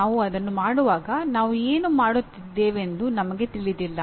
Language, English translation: Kannada, We do not know what we are doing when we do it